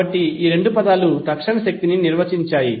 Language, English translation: Telugu, So these two terms are defining the instantaneous power